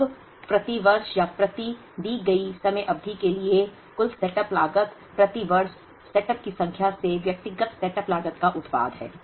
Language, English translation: Hindi, Now, the total setup cost per year or per given time period is the product of the individual setup cost into the number of setups per year